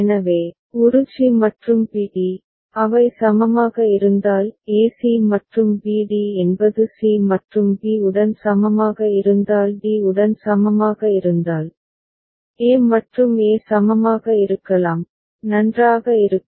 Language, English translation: Tamil, So, a c and b d, if they are equivalent; a c and b d if a is equivalent with c and b is equivalent with d, then a and e can be equivalent, fine